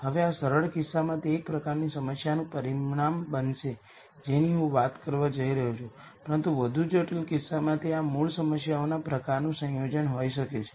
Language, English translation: Gujarati, Now in this simple case it will turn out to be one type of problem that I am going to talk about, but in more complicated cases it might be a combination of these basic problem types